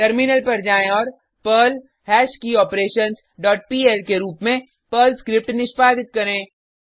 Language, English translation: Hindi, Switch to the terminal and execute the Perl script as perl hashKeyOperations dot pl and press Enter